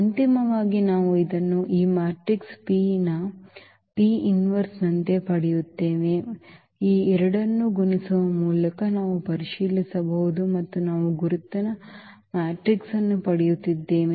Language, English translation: Kannada, So, finally, we will get this as the as the P inverse of this matrix P which we can also verify by multiplying these two and we are getting the identity matrix